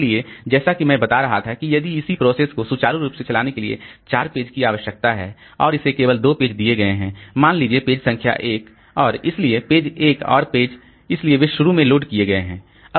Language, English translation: Hindi, So as I was telling that if a process for its smooth running requires, say, four pages and it has been given only two pages, then so it has been given two pages, say page number one and so page one and page two